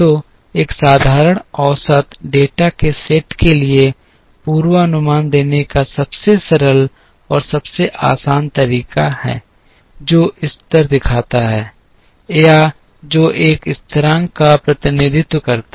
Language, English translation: Hindi, So, a simple average is the simplest and the easiest way to give a forecast for a set of data, which shows level or which represents a constant